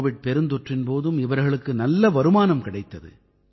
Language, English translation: Tamil, They had good income even during the Covid pandemic